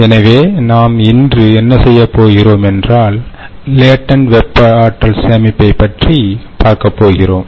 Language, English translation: Tamil, ok, so today what we will do is we will look at latent thermal energy storage